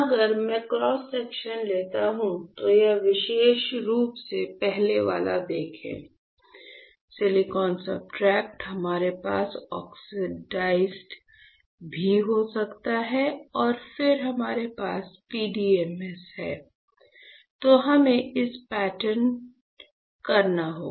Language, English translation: Hindi, So, if I take cross section, you see this particular first one, this step ok; silicon substrate, we can also have oxide and then we have PDMS, then we have to pattern this